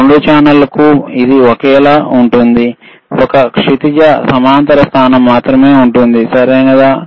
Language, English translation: Telugu, Now, you see for horizontal, for both the channels it is same, only one horizontal position, right